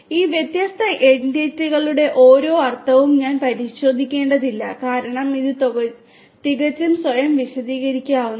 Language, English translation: Malayalam, I do not need to go through the meaning of each of these different entities because it is quite self explanatory